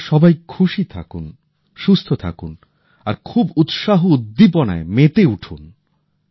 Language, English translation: Bengali, You all be happy, be healthy, and rejoice